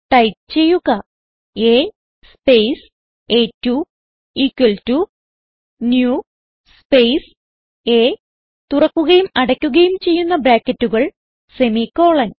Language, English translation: Malayalam, So type A space a2 equal to new space A opening and closing brackets semicolon